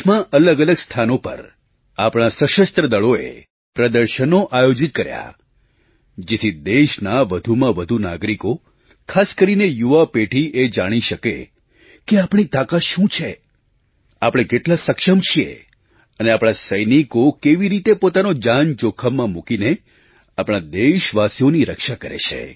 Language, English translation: Gujarati, At various places in the country, exhibitions have been organised by our Armed Forces in order to apprise the maximum number of citizens, especially the younger generation, of the might we possess; how capable we are and how our soldiers risk their lives to protect us citizens